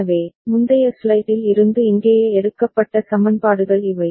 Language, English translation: Tamil, So, these are the equations that have been taken from the previous slide over here right